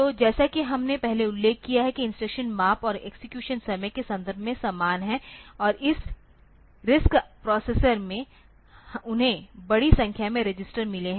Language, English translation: Hindi, So, as we have noted earlier that the instructions are similar in terms of size and execution time and also this RISC processors they have got large number of registers in them